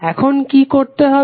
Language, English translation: Bengali, Now, what you have to do